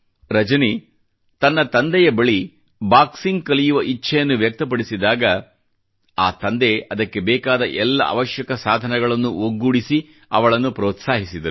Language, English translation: Kannada, When Rajani approached her father, expressing her wish to learn boxing, he encouraged her, arranging for whatever possible resources that he could